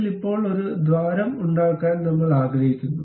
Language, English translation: Malayalam, Now, we would like to make a hole out of that